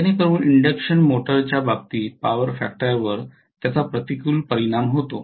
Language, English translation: Marathi, Whereas it does affect the power factor in the case of an induction motor very adversely